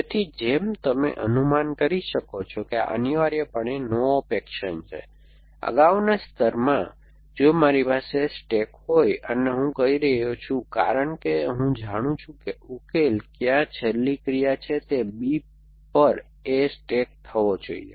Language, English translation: Gujarati, So, as you can guess this is a no op action essentially, so in a previous layer if I have stack, and I am I am saying that because I know where the solution is a last action must be stack A on B